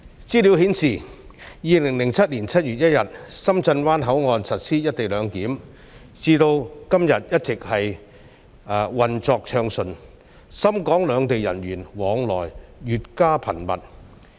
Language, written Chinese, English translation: Cantonese, 資料顯示，深圳灣口岸自2007年7月1日以來實施"一地兩檢"，至今一直運作暢順，深港兩地人員往來越加頻密。, As statistics shows the Shenzhen Bay Port has been operating smoothly since the implementation of co - location arrangement on 1 July 2007 and the flow of people between the two places has been increasingly frequent